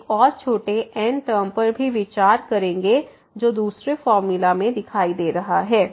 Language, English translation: Hindi, Having this we will also consider one more the small term which is appearing there in the formula